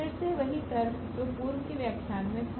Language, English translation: Hindi, Again the same argument which we had in the previous lectures